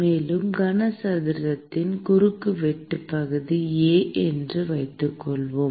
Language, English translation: Tamil, And let us assume that the cross sectional area of the cuboid is A